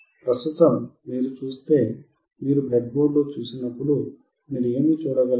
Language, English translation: Telugu, Right now, if you see, when you see on the breadboard, what you can see